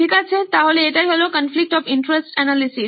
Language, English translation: Bengali, Okay, so that was conflict of interest analysis